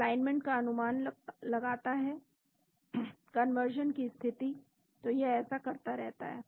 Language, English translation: Hindi, Predicting alignment state conservation so it keeps doing that